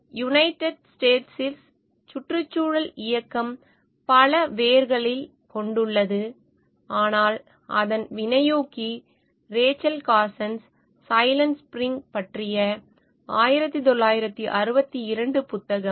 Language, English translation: Tamil, In the United States, the environmental movement have many roots, but its catalyst was Rachel Carsons, 1962 book on Silent Spring